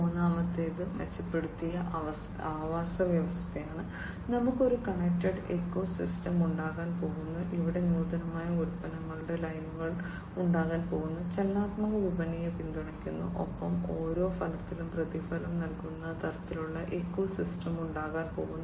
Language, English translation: Malayalam, Third is enhanced ecosystem, the benefits are that we are going to have a connected ecosystem, where there are going to be innovative product lines, supporting dynamic marketplace, and there is going to be pay per outcome kind of ecosystem